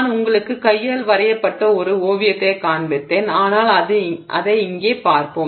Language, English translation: Tamil, So, I have just shown you a hand drawn sketch but let's just look at it here as some kind of a model that I am showing you